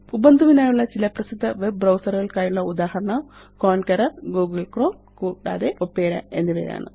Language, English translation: Malayalam, Some examples of other popular web browsers for Ubuntu are Konqueror, Google Chrome and Opera